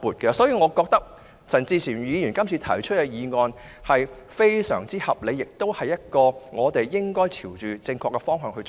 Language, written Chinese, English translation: Cantonese, 因此，我認為陳志全議員這項議案非常合理，而且我們應該朝這正確方向前行。, I therefore maintain that Mr CHAN Chi - chuens motion is a very sensible one . We should all proceed in this very direction